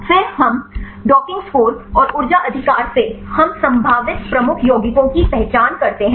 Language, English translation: Hindi, Then we from the docking score and the energy right we identify the potential lead compounds